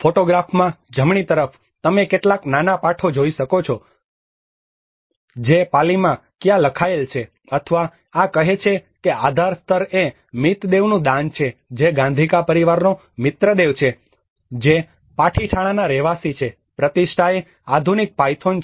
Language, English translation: Gujarati, \ \ \ On the right hand side in the photograph, you can see some small text which has been written in either Pali or and this is saying that the pillar is the donation of Mitadeva which is a Mitradeva of the Gadhika family, a resident of Patithana which is Pratishthana the modern Python